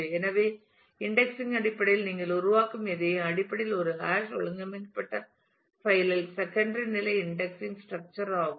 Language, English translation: Tamil, So, anything that you create in terms of indexing is basically a secondary indexing structure in a hash organized file